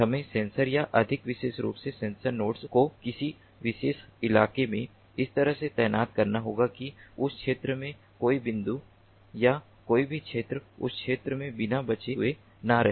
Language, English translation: Hindi, we have to deploy the sensors or more specifically, the sensor nodes, in a particular terrain in such a way that no point or no, none of the areas in that particular terrain left unsensed in that region